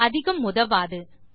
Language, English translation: Tamil, This wont be of much help